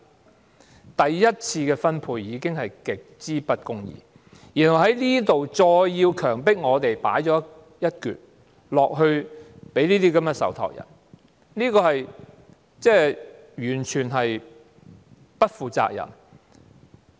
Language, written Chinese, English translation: Cantonese, 在第一次的分配極之不公義的情況下，當局再經強積金強迫我們交出一部分薪金給這些受託人，這做法完全不負責任。, Given the very unjust first - round distribution it is an utterly irresponsible act of the authorities to force us by way of MPF to surrender part of our wages to the trustees